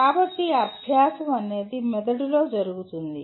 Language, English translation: Telugu, So after all learning takes place in the brain